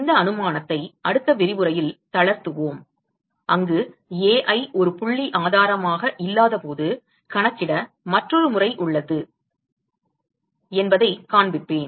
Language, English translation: Tamil, We will relax this assumption in the next lecture where I will show that there is another method to calculate when Ai is not a point source